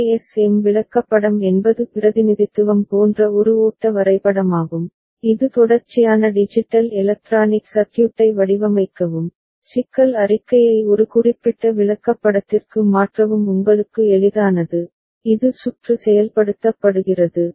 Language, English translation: Tamil, ASM chart is a flow diagram like representation which is useful for designing sequential digital electronic circuit, to convert the problem statement to a particular chart which is easier for you know, getting the circuit implemented